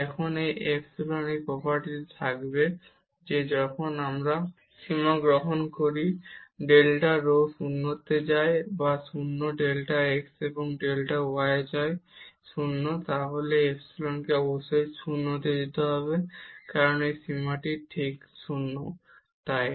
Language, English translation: Bengali, And this epsilon will have property that when we take the limit delta rho go to 0 goes to 0 or delta x, and delta y go to 0 then this epsilon must go to 0, because the limit of this is precisely 0